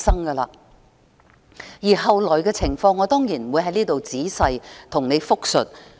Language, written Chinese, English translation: Cantonese, 至於後來的情況，我當然不會在此仔細複述。, In regard to the situation afterwards I of course will not elaborate here